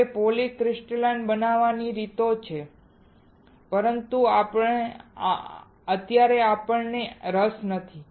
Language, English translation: Gujarati, Now there are ways of making a polycrystalline, but right now we are not interested